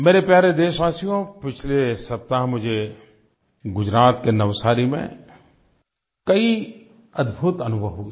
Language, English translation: Hindi, My dear countrymen, last week I had many wonderful experiences in Navsari, Gujarat